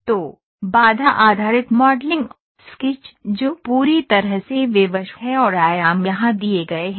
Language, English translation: Hindi, So, the constraint based modeling, the sketch which is fully constrained and dimensions are given here